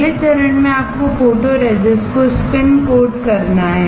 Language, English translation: Hindi, The next step is you have to spin coat the photoresist